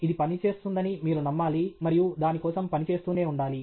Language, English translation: Telugu, You have to believe that it will work and keep on working at it